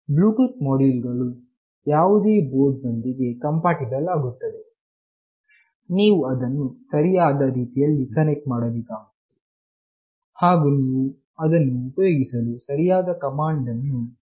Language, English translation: Kannada, Bluetooth module are compatible with any board, you must connect it in the correct fashion, and you must use the correct command for using it